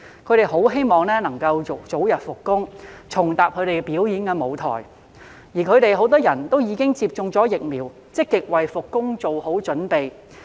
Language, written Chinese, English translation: Cantonese, 他們很希望能夠早日復工，重踏表演舞台，而他們很多已經接種疫苗，積極為復工做好準備。, They very much hope to resume work as soon as possible and return to the performance stage and many of them have already received vaccination and are actively preparing for their return to work